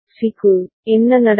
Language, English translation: Tamil, And for C, what will happen